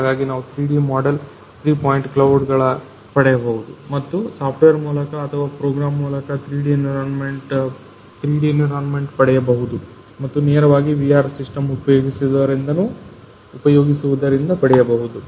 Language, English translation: Kannada, So, we can just use this equipment in order to get the 3D model get the three point clouds and then through the software or through program get the 3D environment and straight way using the that VR system